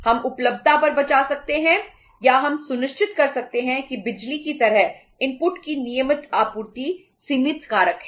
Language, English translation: Hindi, We can save upon the say availability of or we can ensure the regular supply of inputs like electricity is the limiting factor